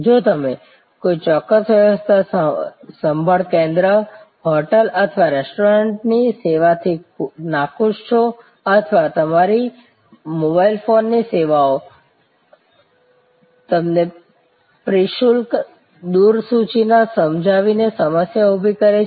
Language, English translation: Gujarati, If you are unhappy with the service from a particular health care center or from a hotel or from a restaurant or your mobile phone service has created a problem for you by not explaining it is tariff mechanism